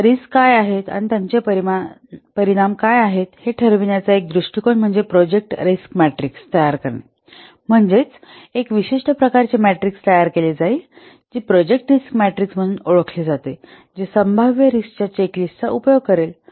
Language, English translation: Marathi, One approach to know what identify the risk and the quantify their effects is to construct a project risk matrix, a special type of matrix will construct that is known as project ricks matrix which will utilize a checklist of a possible risk